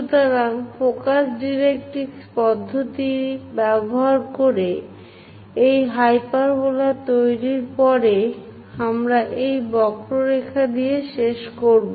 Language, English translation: Bengali, So, after construction of these hyperbola using focus directrix method, we will end up with this curve